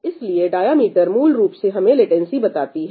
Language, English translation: Hindi, So, diameter basically tells us the latency